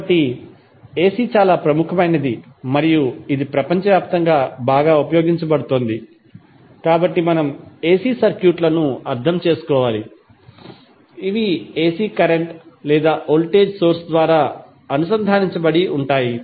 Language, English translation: Telugu, So, since AC is very prominent and it is highly utilized across the globe, we need to understand the AC and the AC circuits which are connected through AC current or voltage source